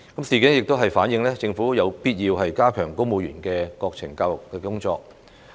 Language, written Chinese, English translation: Cantonese, 事件亦反映，政府有必要加強公務員的國情教育工作。, The incidents also reflect the need for the Government to strengthen national education for civil servants